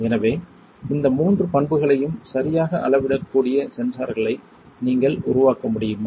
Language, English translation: Tamil, So, can you fabricate such sensors that can measure these three properties alright